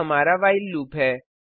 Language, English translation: Hindi, This is our while loop